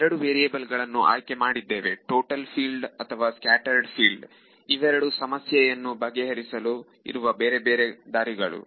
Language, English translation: Kannada, And then we chose the two variables either total field or scattered field these are two different ways of solving a problem right